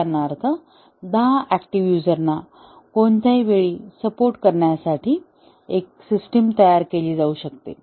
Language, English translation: Marathi, For example, a system may be designed to support ten active users at any time